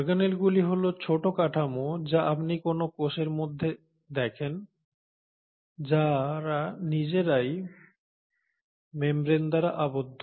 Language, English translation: Bengali, Now, organelles are small structures that you observe within a cell which themselves are bounded by membranes